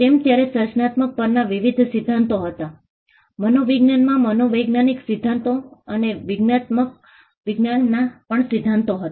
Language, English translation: Gujarati, They were various theories on creativity you had psychology theories in psychology and theories in cognitive science as well